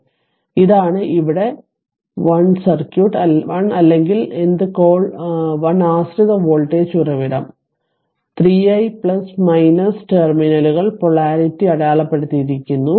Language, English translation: Malayalam, So, this is the circuit 1 here 1 d or what you call 1 dependent voltage source is there right 3 i plus minus terminal polarity has being marked